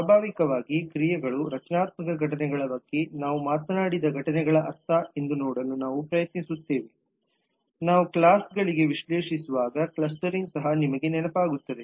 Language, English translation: Kannada, we will try to see that naturally actions mean events we talked about events for structural clustering also you will remember while we were analyzing for the classes